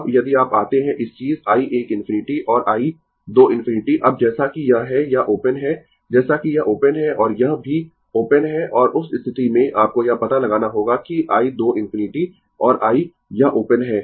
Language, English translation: Hindi, Now, if you come ah this thing i 1 infinity and i 2 infinity, right; now, as this is as this is open, as this is open and this is also open right and in that case, you have to find out that your i 2 infinity and i this is open